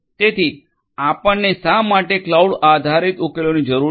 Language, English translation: Gujarati, So, why do we need cloud based solutions